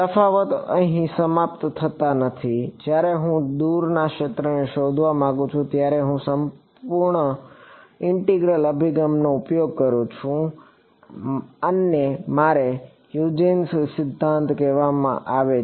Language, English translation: Gujarati, The differences do not end here, when I want to find out the field far away I use in the surface integral approach this is called my Huygens principle right